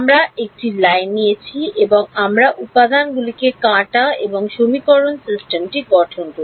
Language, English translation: Bengali, We took a line and we chopped into elements and formed the system of equations